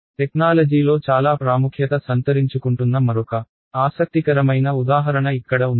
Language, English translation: Telugu, Then here is another interesting example which in technology these days is becoming very important